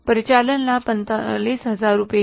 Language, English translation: Hindi, Operating profit is 45,000 rupees